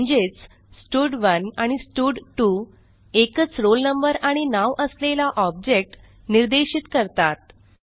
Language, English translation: Marathi, That means both stud1 and stud2 are referring to the same student with a roll number and name